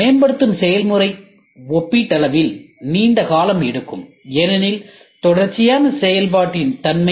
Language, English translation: Tamil, The development process takes a relatively long period of time because the nature of the sequential operation